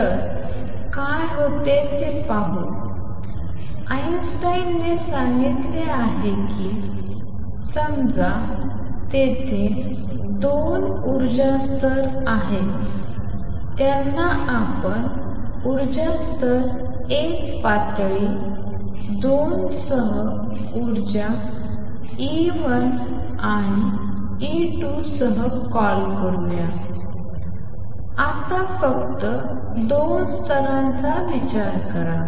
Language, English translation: Marathi, So, let us see what happens, what Einstein did what Einstein said was suppose there are 2 energy levels let us call them with energy level 1 level 2 with energy E 1 and E 2 right now just consider 2 levels